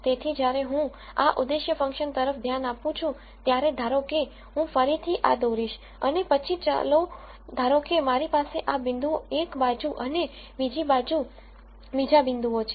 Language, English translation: Gujarati, So, when I look at this objective function, let us say I again draw this and then let us say I have these points on one side and the other points on the other side